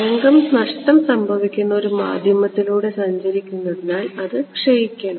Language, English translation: Malayalam, Right as the wave is traveling through a lossy medium, it should decay